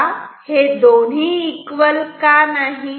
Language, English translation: Marathi, Now, why this two are not equal